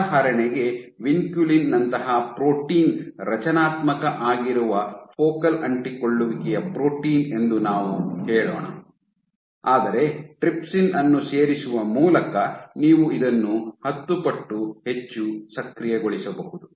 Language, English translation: Kannada, Now you can put up the adhesivity might change because of over expression of vinculin let us say, of a focal adhesion protein like vinculin which is a structural protein, but you can also change this by adding trypsin which is ten times more active